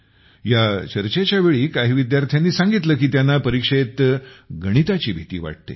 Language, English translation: Marathi, During this discussion some students said that they are afraid of maths in the exam